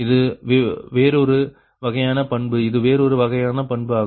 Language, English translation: Tamil, so this is another type of characteristic